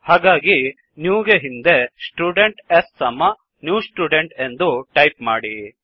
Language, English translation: Kannada, So before new type Student s is equal to new student